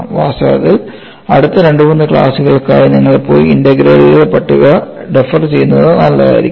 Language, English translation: Malayalam, In fact for the next two three classes, you know I would appreciate that you go and refer the table of integrals